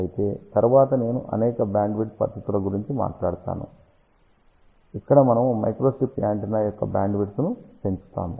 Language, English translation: Telugu, However, later on I will talk about several broadband techniques, where we can increase the bandwidth of the microstrip antenna